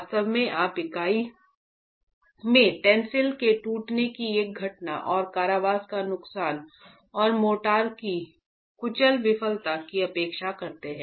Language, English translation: Hindi, In reality you expect a simultaneous occurrence of the tensile cracking in the unit and loss of confinement and the crushing failure of the motor